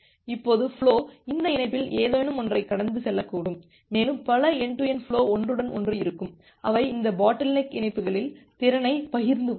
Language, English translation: Tamil, Now this flow may go through any of this link and there would be this kind of overlapping among multiple end to end flows and they will share the capacity in this bottleneck links